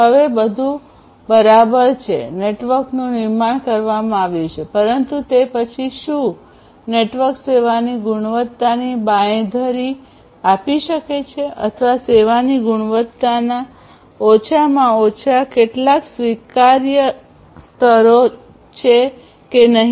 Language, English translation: Gujarati, Now everything is fine network has been built, but then whether the network is able to offer the quality of service guarantees or at least some acceptable levels of quality of service